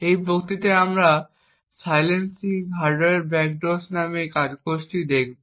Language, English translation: Bengali, In this lecture we will be looking at this paper called Silencing Hardware Backdoors